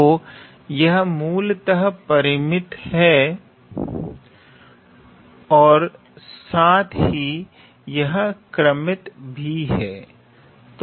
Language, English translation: Hindi, So, it is basically finite, and it is also ordered